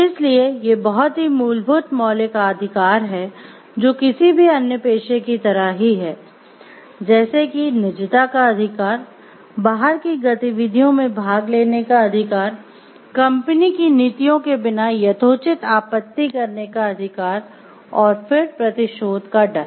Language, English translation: Hindi, So, they these are very basic fundamental rights like the which is same as any other profession like it is the right to privacy, right to participate in activities of one’s own choosing outside of the work, then the right to reasonably object to company’s policies without fear of retribution and the right to due process